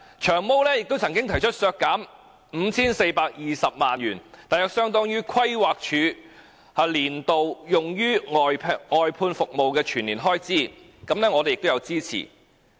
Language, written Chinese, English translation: Cantonese, "長毛"亦曾提出削減 5,420 萬元，約相當於規劃署年度用於外判服務的全年開支，我們亦有支持。, Long Hair also proposed a cut of 54.2 million which was equivalent to the annual expenditure on outsourced services by the Planning Department; and we supported it as well